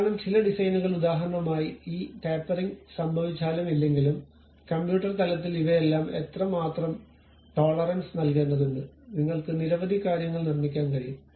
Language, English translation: Malayalam, Because some of the designs like for example, whether this tapering happens or not, how much tolerance has to be given all these things at computer level you can construct many things